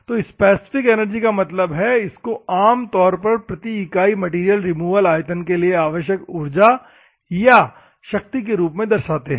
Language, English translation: Hindi, So, the specific energy means, U normally represent the power required or energy required per unit volume material removal